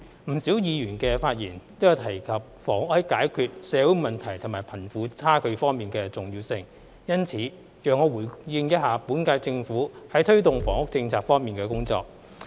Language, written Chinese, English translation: Cantonese, 不少議員的發言都有提及房屋在解決社會問題和貧富差距方面的重要性。因此，讓我回應一下本屆政府在推動房屋政策方面的工作。, Since many Members have mentioned in their speeches the importance of housing in resolving social problems and eradicating the disparity between the rich and the poor I would like to respond them by giving an account of the work done by the current - term Government in delivering its housing policy